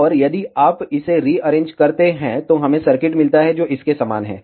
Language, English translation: Hindi, And if you rearrange this, we get circuit which is similar to this